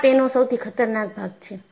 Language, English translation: Gujarati, See, that is the most dangerous part of it